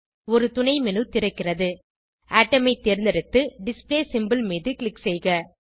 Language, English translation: Tamil, A Submenu opens Select Atom and then click on Display symbol